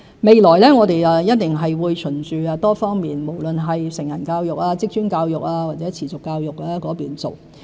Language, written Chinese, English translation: Cantonese, 未來我們一定會循多方面，無論是成人教育、職專教育或持續教育去做。, We will certainly further our efforts in areas such as adult education vocational education or continuing education